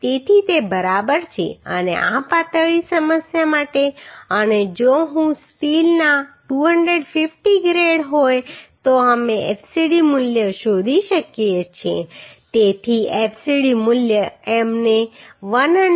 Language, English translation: Gujarati, So it is ok and for this slender issue and if I 250 grade of steel we can find out the fcd value so fcd value we got 135